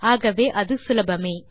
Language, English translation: Tamil, So that way easy